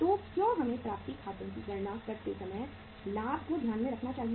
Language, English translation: Hindi, So why should we take into account the profit while calculating the accounts receivables